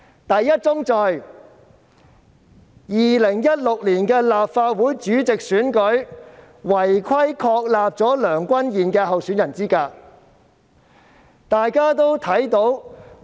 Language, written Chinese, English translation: Cantonese, 第一宗罪 ，2016 年立法會主席選舉違規確立梁君彥的候選人資格。, The first sin is unlawfully establishing the candidature of Andrew LEUNG during the election of the President of the Legislative Council in 2016